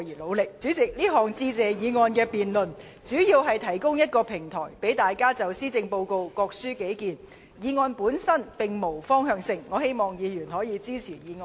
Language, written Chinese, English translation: Cantonese, 主席，這項有關"致謝議案"的辯論主要是提供一個平台，讓大家就施政報告各抒己見，議案本身並無方向性，希望議員可予以支持。, President this debate on the Motion of Thanks mainly serves to provide a platform for Members to express their views on the Policy Address . The motion itself does not point in any direction and I hope Members will support the motion